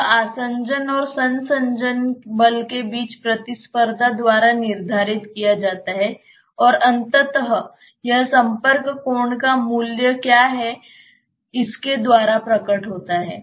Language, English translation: Hindi, That is dictated by the competition between the adhesion and the cohesion force, and eventually it is manifested by what is the value of the contact angle